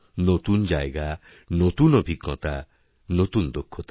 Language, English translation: Bengali, You must try new places, new experiences and new skills